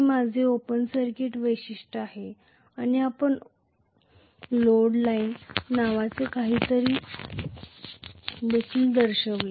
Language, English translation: Marathi, This is what is my open circuit characteristics and we also showed something called a load line, right